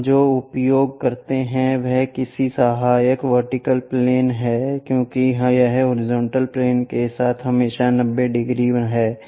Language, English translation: Hindi, The notation what we use is its auxiliary vertical plane because it is always be 90 degrees with the horizontal plane